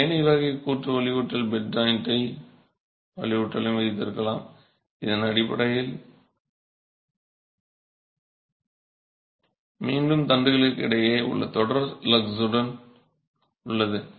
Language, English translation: Tamil, You can also have this ladder type joint reinforcement, bed joint reinforcement, which is basically with a series of lugs between the rods